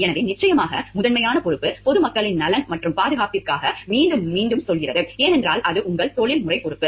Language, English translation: Tamil, So, in that case ofcourse, the primary responsibility again we are repeating it is towards the welfare and safety of the public at large, because that is your professional responsibility